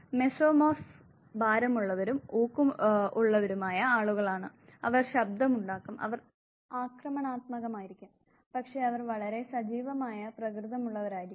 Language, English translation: Malayalam, Here is people who are mesomorphs heavy and muscular people, they would be noisy they would be aggressive, but they would also be very active in nature